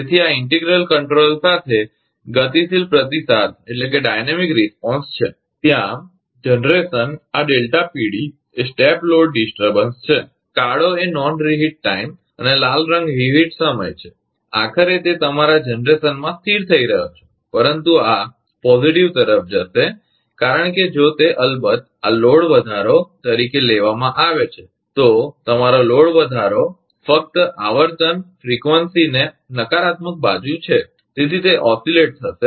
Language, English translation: Gujarati, So, this is dynamic responses with integral controller, there generation, this is delta PD is the step load disturbance and black one is the non reheat time and red one is the reheat time, ultimately it is settling to your generation, but this will go to positive because if if it of course, this is taken as a load increase, your load increase as only frequency show into the negative side, right